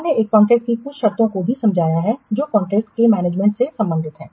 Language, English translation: Hindi, So some terms of a contract will relate to management of a contract